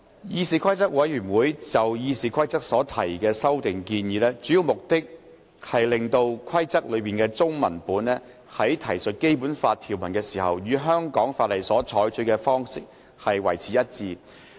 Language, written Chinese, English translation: Cantonese, 議事規則委員會就《議事規則》所提的修訂建議，主要目的是讓其中文文本在提述《基本法》條文時，與香港法例所採取的方式一致。, The amendments proposed by CRoP to RoP mainly aim at enabling the format adopted for the Chinese version of RoP in referring to Articles of the Basic Law to be consistent with that adopted for Hong Kong laws